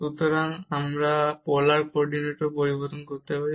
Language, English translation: Bengali, So, again we can see by changing to the polar coordinate also